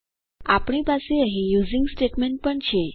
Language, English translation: Gujarati, Also we have the using statement here